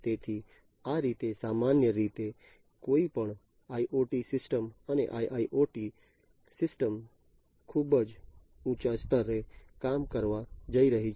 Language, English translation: Gujarati, So, this is typically how any IoT system and IIoT system, at a very high level, is going to work